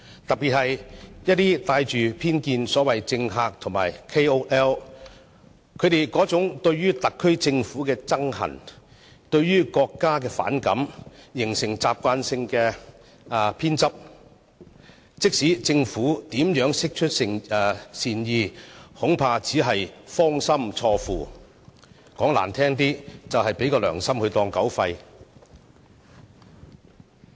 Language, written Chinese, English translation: Cantonese, 特別是一些帶着偏見的所謂政客和 KOL， 他們對特區政府憎恨、對國家反感，形成慣性偏執，無論政府如何釋出善意，恐怕也只是"芳心錯付"，說得難聽一點就是"良心當狗肺"。, In particular some politicians and key opinion leaders are biased and they detest the SAR Government and the country . They remain stubborn and no matter how the Government has tried to extend the olive branch they just do not cherish and worst still the kindness is regarded as malice